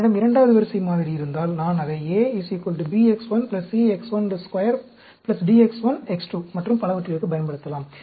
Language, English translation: Tamil, If I have a second order model, I can use it for a equal to b x 1, plus c x 1 square, plus d x 1, x 2 and so on